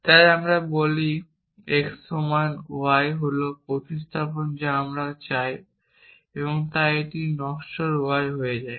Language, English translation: Bengali, So, we say x equal to y is the substitution you want so this becomes mortal y